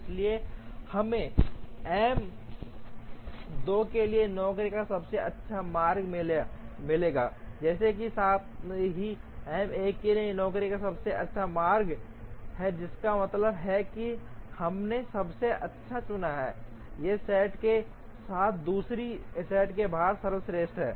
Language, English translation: Hindi, So, in this we will get the best route of jobs for M 2, as well as the best route of jobs for M 1 which means we would have chosen the best out of these set as well as the best out of the other set